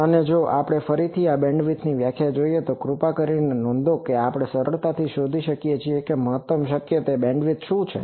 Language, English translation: Gujarati, And if we again look at this bandwidth definition please note that, we can easily find out that what is the maximum bandwidth that is possible